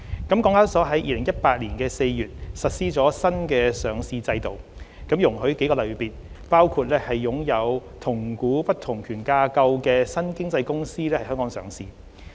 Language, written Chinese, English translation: Cantonese, 港交所在2018年4月實施了新上市制度，容許數個類別，包括擁有同股不同權架構的新經濟公司在港上市。, HKEX implemented a new listing regime in April 2018 to allow a few categories of new economy companies including those with weighted voting rights WVR structure to list in Hong Kong